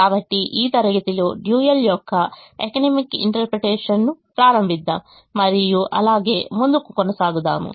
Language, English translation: Telugu, so let us start the economic interpretation of the dual in this class and continue as we move along